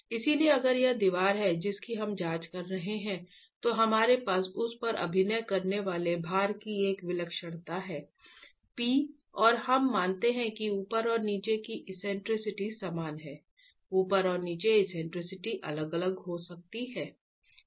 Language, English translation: Hindi, So, if this is the wall we are examining, we have an eccentricity of the load acting on it, P, and this is, we assume that the eccentricity is the same at the top and the bottom